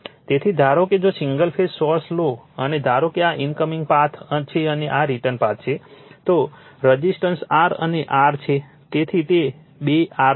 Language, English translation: Gujarati, Therefore, suppose if you take a single phase source and suppose this is incoming path and this is return path, so resistance is R and R, so it will be two R right